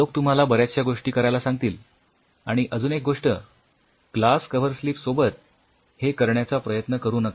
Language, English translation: Marathi, There are people who will tell you several things and one more thing try to avoid with glass cover slips